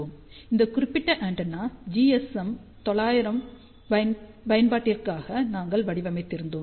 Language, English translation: Tamil, We had designed this particular antenna for GSM 900 application